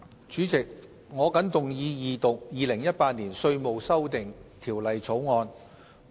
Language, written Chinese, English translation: Cantonese, 主席，我謹動議二讀《2018年稅務條例草案》。, President I move the Second Reading of the Road Traffic Amendment Bill 2018 the Bill